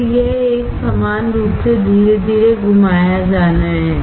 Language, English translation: Hindi, Then it is a uniformly it to be slowly rotated